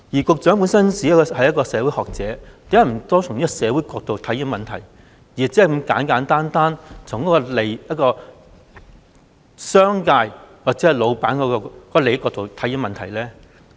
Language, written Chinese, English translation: Cantonese, 局長本身是一名社會學者，為何不多從社會角度來看問題，而只是如此簡單地從商界或老闆利益的角度來看問題呢？, The Secretary is a sociologist . Why does he not look at these issues from a social perspective instead of simply from the perspective of the business sector or the interests of employers?